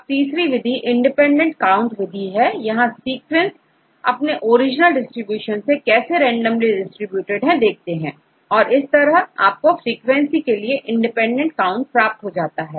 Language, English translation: Hindi, So, the third one we discussed about the independent counts, how randomly distributed, with respect to your original distribution, that you can get independent counts to get the frequency